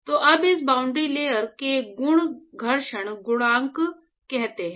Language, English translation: Hindi, So, now the properties in this boundary layer are actually characterized by what is called the friction coefficient